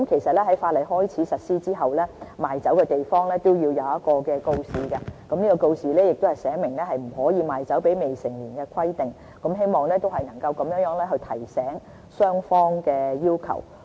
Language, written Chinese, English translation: Cantonese, 在法例開始實施後，賣酒地方必須展示一個告示，寫明不可以賣酒給未成年人士的規定，希望以此提醒雙方有關法例的要求。, After commencement of the law a notice must be displayed at premises where liquor is sold stating expressly that no liquor can be sold to minors in hope of reminding both parties the statutory requirements